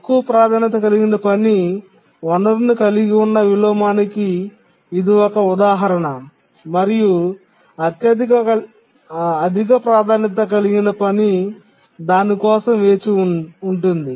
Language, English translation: Telugu, The inheritance related inversion occurs when a low priority task is using a resource and a high priority task waits for that resource